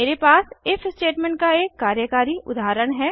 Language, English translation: Hindi, I have declared an if statement in this example